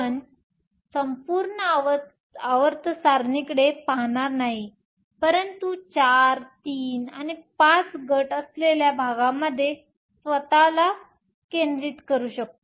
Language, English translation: Marathi, We won’t look at entire periodic table, but focus ourselves in the area where we have the groups four, three and five